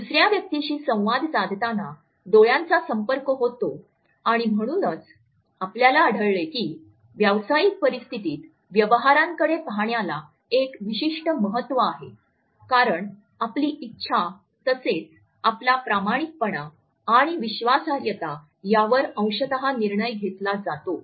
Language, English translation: Marathi, The eye contact begins as soon as we interact with another person and therefore, you would find that in business transactions in professional situations, the gaze has a certain importance because our willingness as well as our honesty and trustworthiness and credibility would be partially decided on the basis of our eye contact